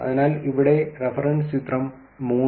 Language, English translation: Malayalam, So, the reference here is to figure 3